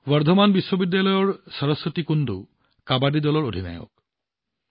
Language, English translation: Assamese, Similarly, Saraswati Kundu of Burdwan University is the captain of her Kabaddi team